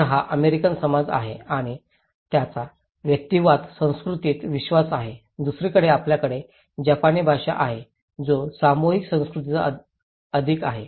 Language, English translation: Marathi, So, this is American society and they believe in individualistic culture, on the other hand, we have Japanese society which is more in collective culture